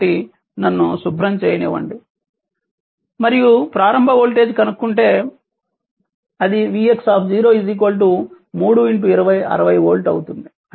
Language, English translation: Telugu, So, ah so let me clear it and if you try to find out the initial voltage v x 0 that will be your 3 into 20